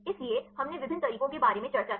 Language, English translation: Hindi, So, we discussed about various methods